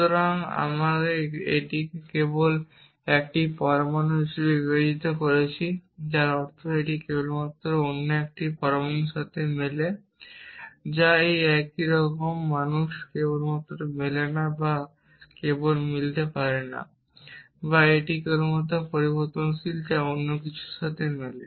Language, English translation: Bengali, So, we are just treating it as a atom here which means it can only match a another atom which is same a man not can only match not or can only match or it is only the variables which can match something else